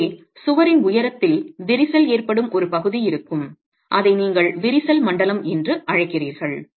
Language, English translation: Tamil, So there will be a part of the wall which goes into cracking along the height and you call that the crack zone